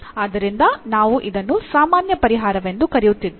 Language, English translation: Kannada, So, therefore, we are calling it has the general solution